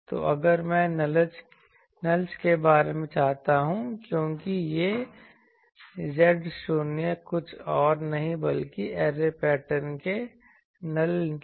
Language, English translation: Hindi, So, if I want about the nulls because these Z 0s are nothing but nulls of the array pattern